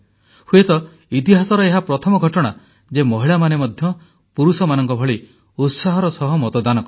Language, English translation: Odia, Perhaps, this is the first time ever, that women have enthusiastically voted, as much as men did